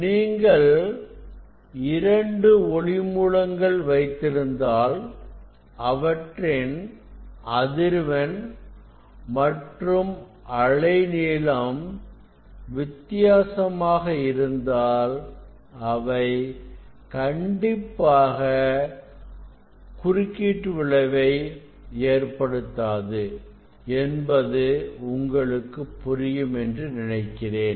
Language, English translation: Tamil, if you have two source; if you have two source their frequency or wavelengths are different, then there will not be interference that is clear